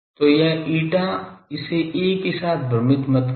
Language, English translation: Hindi, So, this eta, do not confuse it with a ah